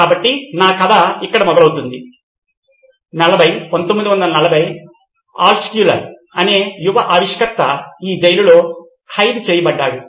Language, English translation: Telugu, So my story starts here 40’s, 1940’s a young inventor by name Altshuller was imprisoned in this prison